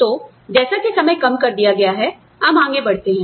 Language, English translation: Hindi, So, since the time has been reduced, let us move on